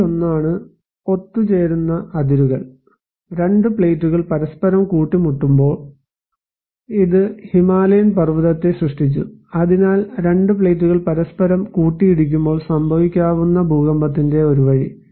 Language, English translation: Malayalam, One is that convergent boundaries; when two plates collide together this created the Himalayan mountain so, one way of the event of earthquake that can happen when two plates are colliding each other